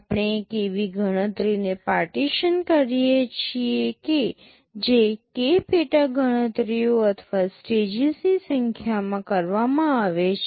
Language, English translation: Gujarati, We partition a computation that is being carried out into k number of sub computations or stages